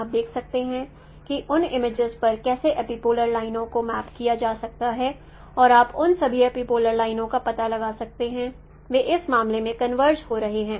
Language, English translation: Hindi, You can find you can see that how epipolar lines they can be no mapped on those images and you can find out those all those epipolar lines they are converging in this case